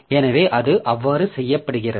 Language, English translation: Tamil, So how that is done